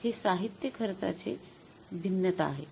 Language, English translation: Marathi, That is the material cost variance